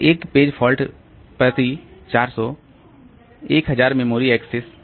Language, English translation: Hindi, So, one page fault per 400,000 memory access